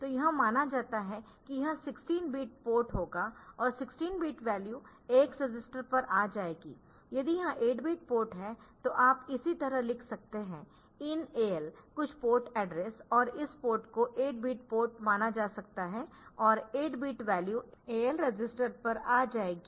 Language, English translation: Hindi, So, this is assumed that this will be a 16 bit port and the 16 bit value will come to the AX register, if this is an 8 bit port then you can write in a similar fashion in AL comma some a s and again the port address and this port is assumed to be 8 bit port and the 8 bit value will be coming to the AL register